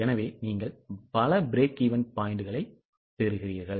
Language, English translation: Tamil, So, you get multiple break even points